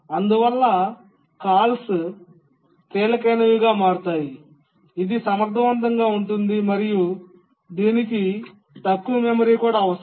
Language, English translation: Telugu, Therefore, the calls become lightweight that is efficient and require also less memory